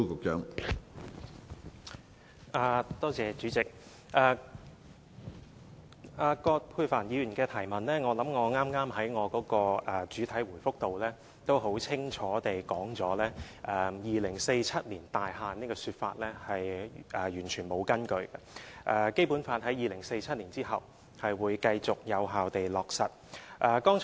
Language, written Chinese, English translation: Cantonese, 主席，就着葛珮帆議員的補充質詢，我想我剛才在主體答覆內已經很清楚地指出 ，"2047 年大限"這種說法是完全沒有根據的，《基本法》在2047年後將會繼續有效地落實。, President with regard to the supplementary question raised by Dr Elizabeth QUAT I think I have pointed out rather clearly in the main reply earlier that the claim of a time frame of 2047 is completely groundless and the implementation of the Basic Law will remain effective after 2047